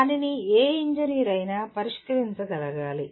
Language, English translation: Telugu, That needs to be appreciated by any engineer